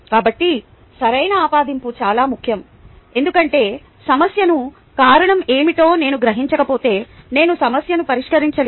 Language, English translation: Telugu, so correct attribution is very important, because unless i realize what is the cause of a problem correctly, i will not be able to solve the problem